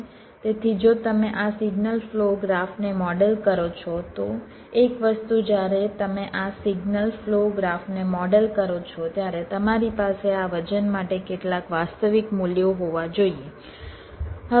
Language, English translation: Gujarati, so if you model this signal flow graph, one thing: when you model this signal flow graph, you have to have some realistic values for this weights